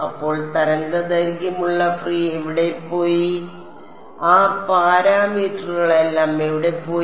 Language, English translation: Malayalam, So, where did the where did the free with the wave length and all of those parameters where did that go